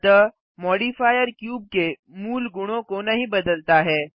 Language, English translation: Hindi, So the modifier did not change the original properties of the cube